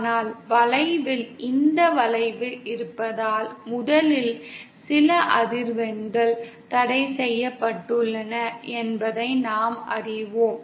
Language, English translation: Tamil, But because of this bend present in the curve, 1st of all we know that there are certain frequencies which are forbidden